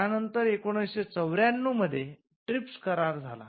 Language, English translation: Marathi, Then in 1994 we had the TRIPS agreement